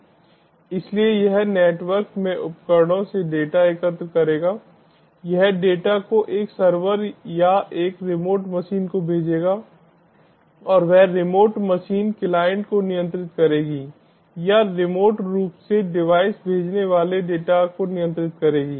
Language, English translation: Hindi, it will send the data to a server or a remote machine and that remote machine will the remote machine will control the client or the data sending device remotely